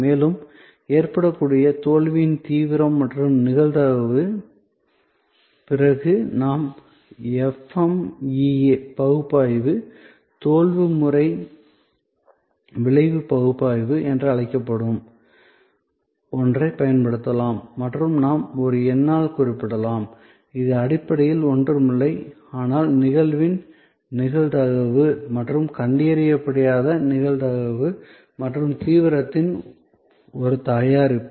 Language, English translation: Tamil, And severity of the failure that can happen and the probability of occurrence, then we can use something what we call the FMEA analysis, the Failure Mode Effect Analysis by and we can represented by a number, which is basically nothing but, a product of the probability of the occurrence and the probability of non detection and the severity